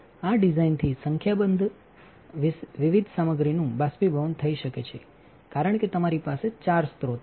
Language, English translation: Gujarati, With this design a number of different materials can be evaporated because you have four source